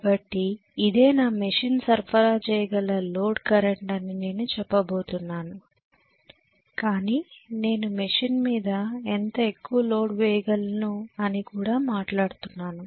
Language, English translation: Telugu, So I am going to say that this is the load current my machine can supply but when I am talking about how much I can over load a machine